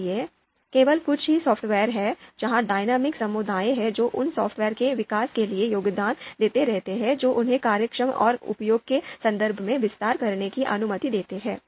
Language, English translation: Hindi, So there there are only a few software where there are dynamic communities which keep on contributing for the development of those softwares in the sense they allow they allow them to expand in terms of functionality and use